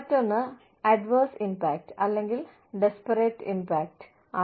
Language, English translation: Malayalam, The other is, adverse impact, or disparate impact